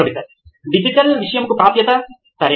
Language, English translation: Telugu, Access to digital content, okay